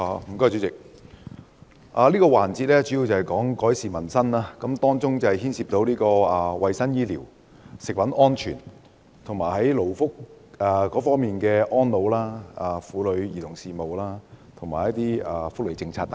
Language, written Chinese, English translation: Cantonese, 主席，這個辯論環節主要關乎改善民生，當中涉及衞生及醫療服務、食物安全、勞工議題、安老、婦女及兒童事務，以及一些福利事務等。, President this debate session mainly concerns improvement of livelihood involving health care services food safety labour issues elderly services women and children affairs some welfare affairs and so on